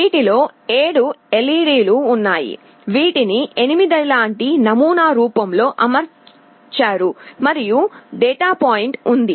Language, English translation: Telugu, There are 7 of these LEDs, which are arranged in the form of a 8 like pattern and there is a dot point